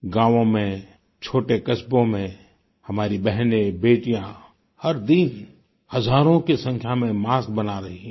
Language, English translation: Hindi, In villages and small towns, our sisters and daughters are making thousands of masks on a daily basis